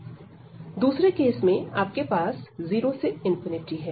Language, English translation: Hindi, In the second case, you have 0 to infinity